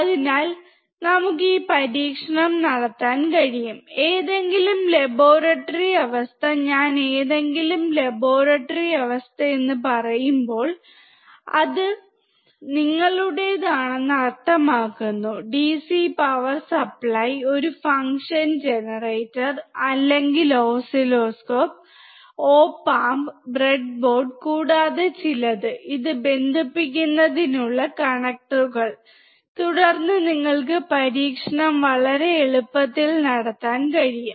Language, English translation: Malayalam, So, we can perform this experiment in any laboratory condition, when I say any laboratory condition, it means if you have your DC power supply, a function generator or oscilloscope, op amp, breadboard, and some connectors to connect it, then you can perform the experiment very easily